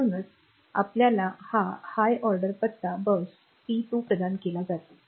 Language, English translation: Marathi, So, we have got this um this higher order address bus P2 provided by Port 2